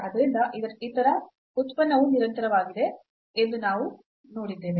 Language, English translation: Kannada, So, we have seen the other function is continuous